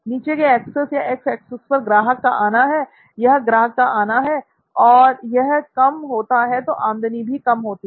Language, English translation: Hindi, On the bottom axis or the x axis, you find that the customer visits, these are customer visits, when they are few, you have low revenue